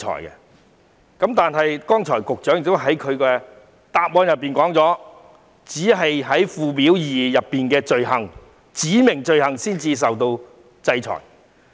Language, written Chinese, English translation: Cantonese, 可是，局長剛才在主體答覆中指出，只有違反附表2訂明的罪行才會受到制裁。, Yet as pointed out by the Secretary in his main reply only those convicted of offences listed on Schedule 2 will be disciplined